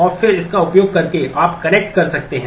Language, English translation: Hindi, And then using that you can connect